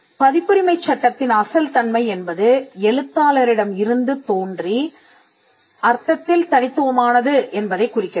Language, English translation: Tamil, In copyright law originality refers to the fact that it is unique in the sense that it originated from the author